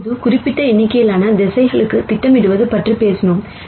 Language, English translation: Tamil, Now, we talked about projecting on to certain number of directions